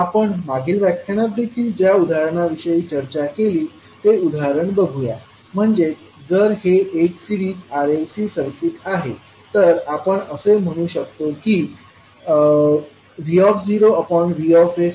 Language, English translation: Marathi, So let us see the example that is what we also discussed in the previous lecture, that if it is a series R, L, C circuit, we can say that V naught by Vs can be represented as 1 by LC divided by s square plus R by Ls plus 1 by LC